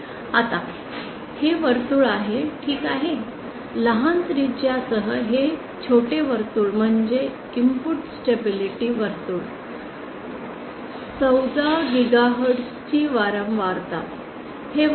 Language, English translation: Marathi, Now this is the circle ok, this small circle with small radius is the output is the input stability circle frequency of 14 gigahertz